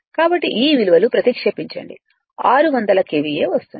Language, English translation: Telugu, So, substitute all this value you will get six hundred your KVA right